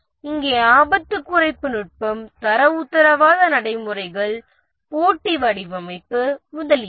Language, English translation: Tamil, Here the risk reduction technique is quality assurance procedures, competitive design, etc